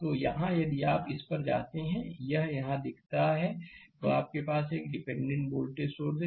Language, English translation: Hindi, So, here if you go to this that it is look here, you have a dependent voltage source right